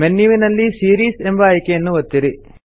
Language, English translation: Kannada, Click on the Series option in the menu